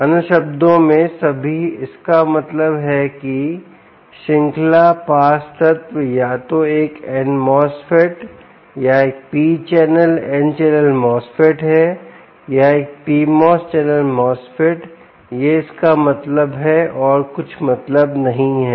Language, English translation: Hindi, in other words, all that means is the series pass element is either a an n mosfet or a p channel n channel mosfet or a p channel mosfet